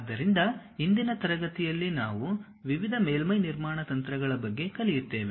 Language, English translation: Kannada, So, in today's class we will learn about various surface construction techniques